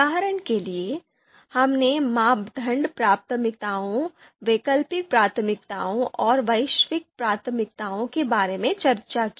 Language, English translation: Hindi, For example; criteria priorities, alternative priorities and global priorities that we need to compute